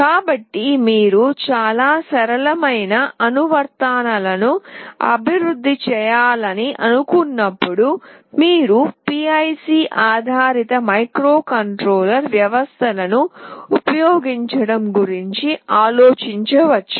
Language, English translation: Telugu, So, when you think of the developing very simple kind of applications, you can think of using PIC based microcontroller systems